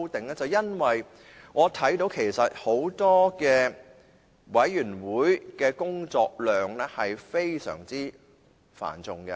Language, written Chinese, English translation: Cantonese, 便是因為我看見很多委員會的工作量是非常繁重的。, It is because I notice the heavy workload of many committees